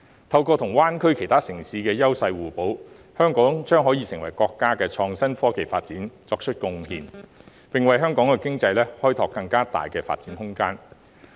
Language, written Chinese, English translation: Cantonese, 透過與灣區其他城市優勢互補，香港將可為國家的創新科技發展作出貢獻，並為香港經濟開拓更大的發展空間。, By complementing with other cities in the Bay Area Hong Kong will be able to contribute to the countrys IT development and expand Hong Kongs scope for further economic development